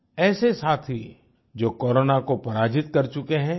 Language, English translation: Hindi, These are people who have defeated corona